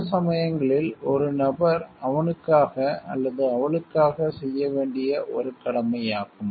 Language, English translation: Tamil, Sometimes it is a duty for person to himself or herself also